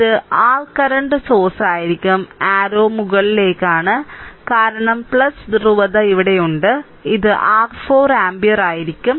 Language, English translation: Malayalam, And this will be your current source; arrow is upwards right, and because here plus polarity is here and this will be your 4 ampere right